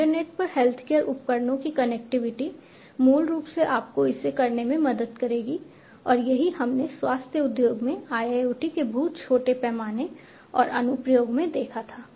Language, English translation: Hindi, Connectivity of healthcare devices to the internet will basically help you in doing it and this is what we had seen in a very small scale and application of IIoT in the healthcare industry